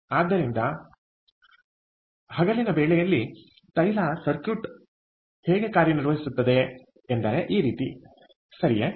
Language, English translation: Kannada, so therefore, this is how the oil circuit works during daytime, all right